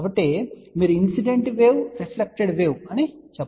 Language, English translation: Telugu, So, you can say incident wave reflected wave, ok